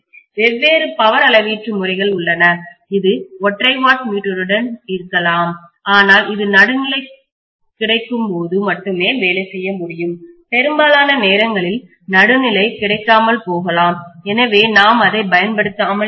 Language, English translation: Tamil, There are different power measurement methods, it can be with single watt meter but this can work only when neutral is available, most of the times neutral may not be available so we may not be using it